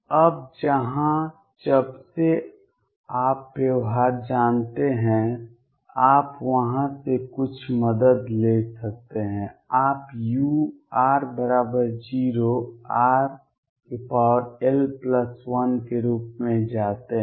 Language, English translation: Hindi, Now here since you know the behaviour you can take some help from there u at r equals 0 goes as r raise to l plus 1